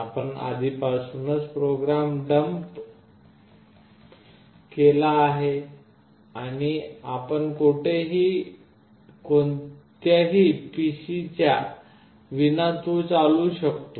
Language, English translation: Marathi, Let us say you have already dumped the program and you want it to run without the support of any PC anywhere